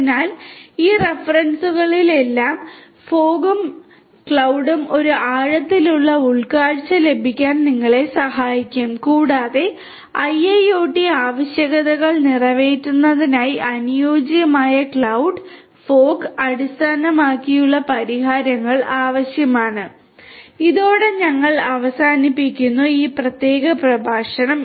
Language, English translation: Malayalam, So, fog and cloud together in all these references will help you to get a deeper insight and what is required to have is some kind of suitable cloud, fog based solutions for catering to the IIoT requirements, with this we come to an end of this particular lecture